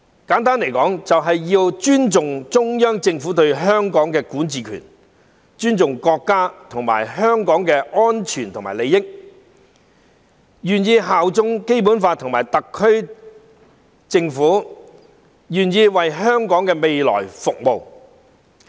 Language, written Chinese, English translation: Cantonese, 簡單來說，就是要尊重中央政府對香港的管治權，保護國家和香港的安全和利益，願意效忠《基本法》和特區政府，願意為香港的未來服務。, To put it simply it means respecting the Central Governments jurisdiction over Hong Kong protecting the security and interests of the country and Hong Kong being willing to pledge allegiance to the Basic Law and the SAR Government and being willing to render service for the future of Hong Kong